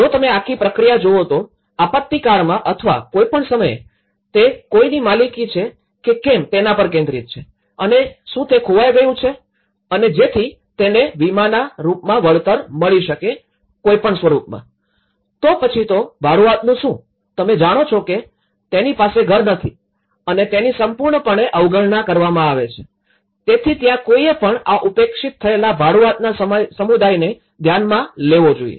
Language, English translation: Gujarati, If you look at the whole process, in the disaster acts or whatever they has been, it is mainly focus on whether someone owns something and whether it is lost and so that he can be compensated whether in the form of insurance, whether in the form of; then what about a renter; you know he was not having a house and he was completely ignored, so that is where one has to look at how these neglected groups who are basically the renting community